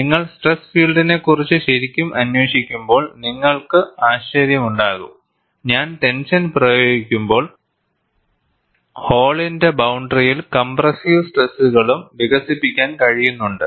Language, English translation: Malayalam, And when you really investigate the stress field, you also have surprises, when I apply tension, there is also compressive stresses that could be developed on the boundary of the hole